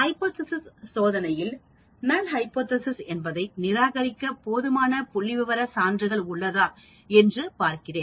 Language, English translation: Tamil, In hypothesis testing, the goal is to see if there is a sufficient statistical evidence to reject a null hypothesis